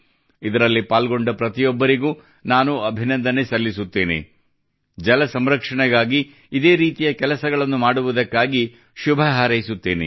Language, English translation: Kannada, I congratulate everyone involved in this and wish them all the best for doing similar work for water conservation